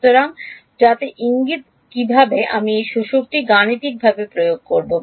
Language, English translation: Bengali, So, so that is the hint how do I implement this absorber mathematically